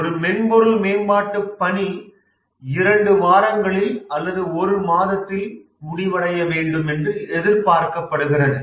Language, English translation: Tamil, And it is expected that a software development work completes in two weeks, a month, and so on